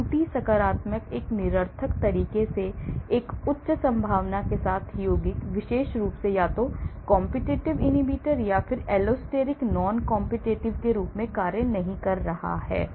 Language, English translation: Hindi, False positives; compound with a high probability of acting in a nonspecific manner ; , it is not acting very specifically either as a competitive inhibitor or allosteric non competitive